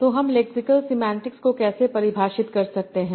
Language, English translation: Hindi, So, how can we define lexical semantics